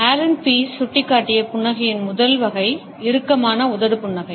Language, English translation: Tamil, The first type of a smile which has been hinted at by Allen Pease is the tight lipped smile